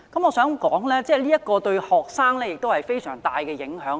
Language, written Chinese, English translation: Cantonese, 我認為這對於學生有非常大的影響。, In my view this will have a great impact on students